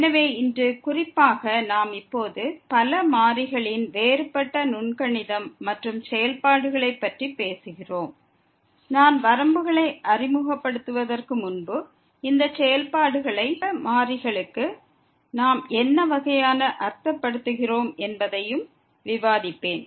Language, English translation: Tamil, So, today in particular we are talking about now the Differential Calculus and Functions of Several Variables and before I introduce the limits, I will also discuss what type of these functions we mean for the several variables